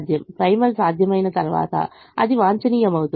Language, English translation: Telugu, and once the primal became feasible, it is optimum